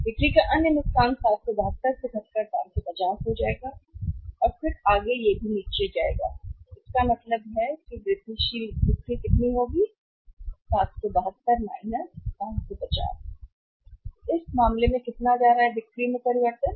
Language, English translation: Hindi, Other loss of the sales will come down from the 772 to 550 and then further it will also go down so it means incremental sales will be how much 772 550; So, in this case how much is going to the change in sales